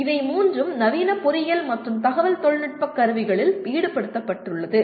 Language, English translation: Tamil, All the three are involved of modern engineering and IT tools